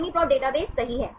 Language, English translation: Hindi, UniProt database right